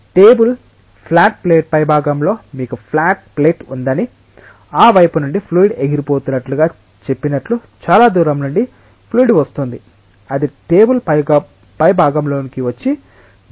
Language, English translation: Telugu, Let us say that you have a flat plate just like the top of a table flat plate and fluid is coming from far stream just like say fluid is being blown from that side it is coming on the top of the table and going away